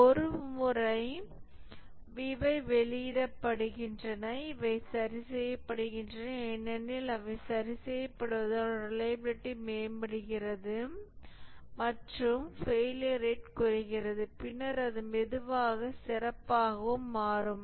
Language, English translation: Tamil, Once these are released and these are fixed, as they are fixed, the reliability improves or the failure rate comes down and then it slowly becomes better and better